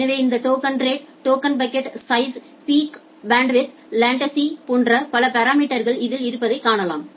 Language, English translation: Tamil, So, you can see that it contains multiple parameters like this token rate, token bucket size, the peak bandwidth, latency